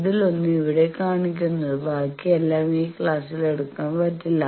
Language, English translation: Malayalam, One of that we are showing here others all we cannot take in this class